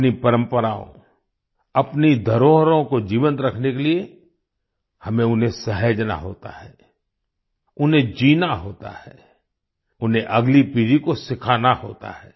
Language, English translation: Hindi, To keep our traditions, our heritage alive, we have to save it, live it, teach it to the next generation